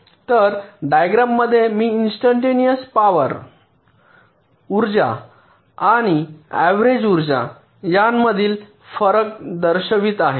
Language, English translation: Marathi, ok, so diagrammatically i am showing you the difference between instantaneous power, the energy and the average power